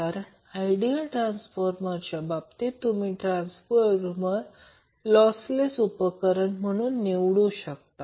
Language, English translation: Marathi, Now, this is any way expected because in case of ideal transformer, you will take transformer as a lossless equipment